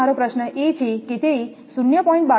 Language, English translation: Gujarati, Now, my question is it has written 0